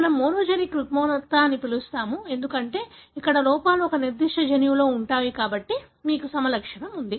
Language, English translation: Telugu, One we call as a monogenic disorder, because here the, the defects lies in one particular gene, therefore you have the phenotype